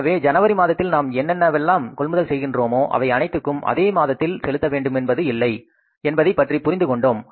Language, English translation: Tamil, So we get to know that whatever we are going to purchase in the month of January, we are not required to make all the payment for that material in the month of January itself